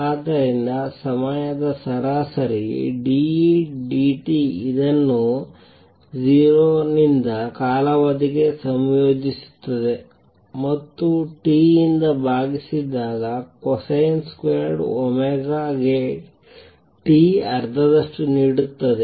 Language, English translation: Kannada, So, time averaged d E d t which is nothing but integrate this from 0 to time period and divided by T gives you a half for cosine square omega T